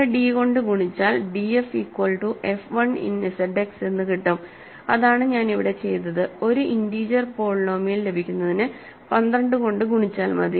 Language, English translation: Malayalam, So, multiply by some d to get df is equal to f 1 in Z X, right that is what I have done here, multiplied by 12 to get an integer polynomial